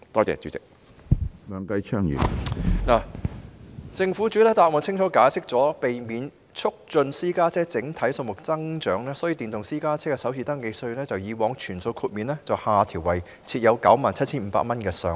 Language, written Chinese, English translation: Cantonese, 政府已在主體答覆清楚解釋，為了避免促進私家車整體數目增長，所以把電動私家車的首次登記稅由以往全數豁免下調為設有 97,500 元的上限。, The Government has already explained clearly in the main reply that in order to refrain from promoting the overall growth of PCs it has reduced the concessions on FRT for e - PCs from full exemption in the past to putting in place a cap at 97,500